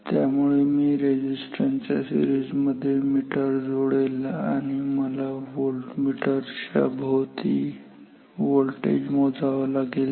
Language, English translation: Marathi, So, I connect the ammeter in series with this resistance and I have to measure the voltage across this voltmeter